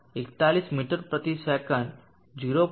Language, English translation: Gujarati, 41 meters per second 0